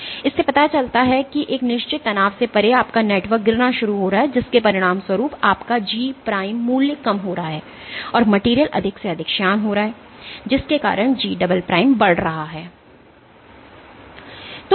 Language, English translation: Hindi, This suggests that beyond a certain strain your network is starting to fall apart as a consequence of which your G prime value is decreasing, and the material is getting more and more viscous because of which G double prime is increasing